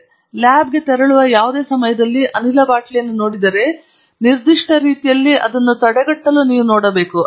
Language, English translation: Kannada, So, any time you walk in to a lab, if you see a gas bottle, you should see it restrained in this particular manner